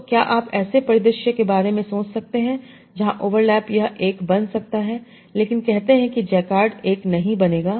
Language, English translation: Hindi, So can you think of a scenario where overlap can become one, but say, Jakard will not become one